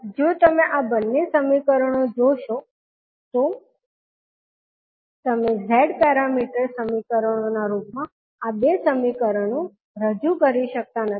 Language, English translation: Gujarati, Now, if you see these two equations you cannot represent these two equations in the form of Z parameter equations